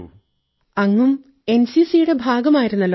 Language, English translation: Malayalam, That you have also been a part of NCC